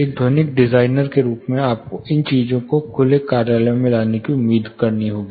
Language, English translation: Hindi, As acoustic designer you will be expected to bring these things down in open offices